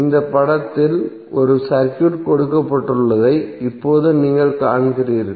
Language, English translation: Tamil, Now you see there is a circuit given in this figure